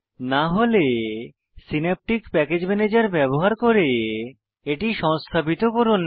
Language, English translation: Bengali, If not, please install the same, using Synaptic Package Manager, as in the Overview tutorial